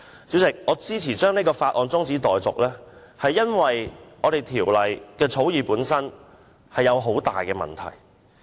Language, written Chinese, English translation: Cantonese, 主席，我支持將《條例草案》的二讀辯論中止待續，是因為《條例草案》的草擬本身出現重大問題。, President I support the adjournment of the Second Reading debate on the Bill because there are serious problems with the drafting of the Bill